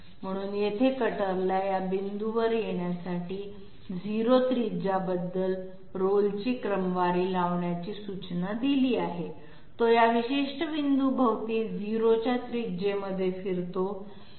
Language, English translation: Marathi, So here the cutter is given an instructions to sort of roll about a 0 radius to come to this point, it rolls about this particular point in a radius of 0